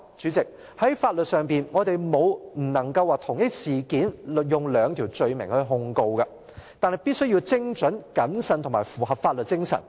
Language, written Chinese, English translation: Cantonese, 主席，老實說，在法律上我們沒有說不能同一事件使用兩條罪名來控告，但必須精準、謹慎及符合法律精神。, Frankly speaking President there is no law prohibiting making two charges on the same incident but the charge must be precise cautious and in compliance with the rule of law